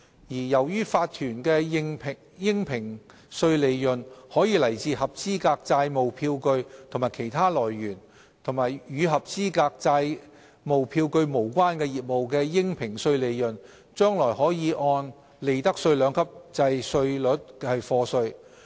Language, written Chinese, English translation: Cantonese, 由於法團的應評稅利潤可來自合資格債務票據及其他來源，與合資格債務票據無關的業務的應評稅利潤，將來可按利得稅兩級制稅率課稅。, As a corporation could have assessable profits from qualifying debt instruments and other sources assessable profits from businesses unrelated to qualifying debt instruments will be chargeable to tax pursuant to the two - tiered profits tax rates regime